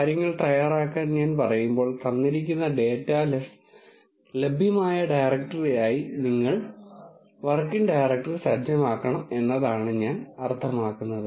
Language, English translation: Malayalam, When I say get things ready I mean you have to set the working directory as the directory in which the given data les are available